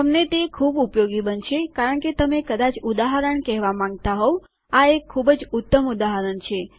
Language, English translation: Gujarati, You will find them very useful because you might want to say for example this is a very classic example